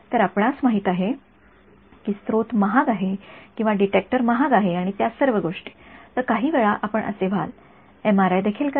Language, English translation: Marathi, So, you know source is expensive or detector is expensive and all of those things, then at some point you will be like as well do MRI right